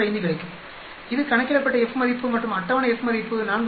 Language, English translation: Tamil, 595 this is the calculated F value and the table F value is 4